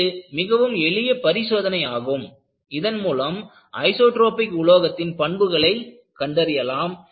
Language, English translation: Tamil, This is a very simple test and useful to characterize an isotropic material behavior